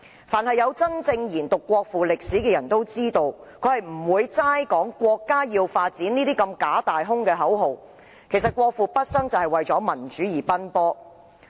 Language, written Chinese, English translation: Cantonese, 凡有真正研讀國父事蹟的人都知道，他不會只談"國家要發展"這些假大空的口號，他畢生為民主而奔波。, Anyone who has actually studied the history of the Father of Modern China will know that he did not only chant such fallacious grandiose and empty slogan as development is necessary for the country . He had dedicated all his life to the cause of democracy